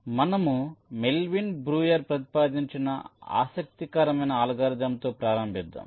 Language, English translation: Telugu, so we start with an interesting algorithm which is proposed by melvin breuer